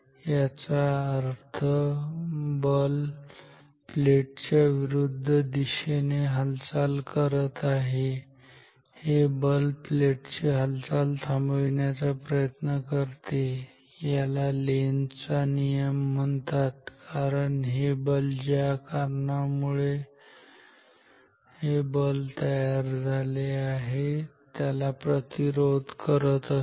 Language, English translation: Marathi, So, which means the force is in the opposite direction to the motion of the plate, this force is trying to stop the motion of the plate, this is Lenz’s law actually because the force is trying to stop the cause which created this force what is the cause